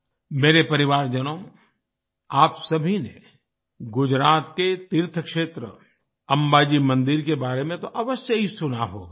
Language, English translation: Hindi, My family members, all of you must have certainly heard of the pilgrimage site in Gujarat, Amba Ji Mandir